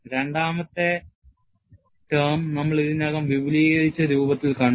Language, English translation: Malayalam, And second term, we have already seen in an expanded form